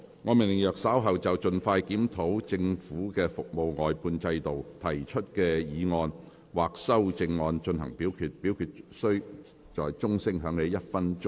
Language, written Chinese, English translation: Cantonese, 我命令若稍後就"盡快全面檢討政府的服務外判制度"所提出的議案或修正案再進行點名表決，表決須在鐘聲響起1分鐘後進行。, I order that in the event of further divisions being claimed in respect of the motion on Expeditiously conducting a comprehensive review of the Governments service outsourcing system or any amendments thereto this Council do proceed to each of such divisions immediately after the division bell has been rung for one minute